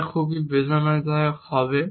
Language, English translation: Bengali, That would be too painful